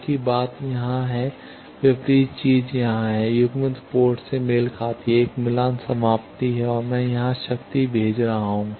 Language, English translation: Hindi, Same thing here, the opposite thing here the coupled port is matched, is a match termination and I am sending the power here